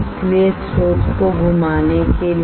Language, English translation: Hindi, So, for rotating the source rotating the source